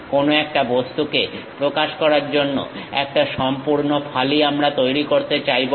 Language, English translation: Bengali, We do not want to make complete slice to represent some object